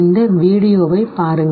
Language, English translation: Tamil, Look at this very video